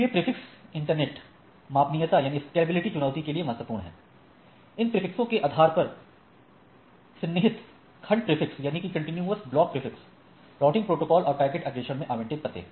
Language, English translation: Hindi, So, prefixes are key to the internet scalability challenge, address allocated in contiguous chunks prefixes, routing, protocols and packet forwarding based on these prefixes